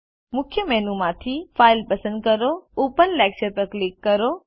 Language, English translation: Gujarati, From the Main menu, select File, click Open Lecture